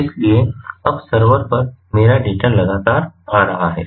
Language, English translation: Hindi, so now my data is being continuously logged on to the server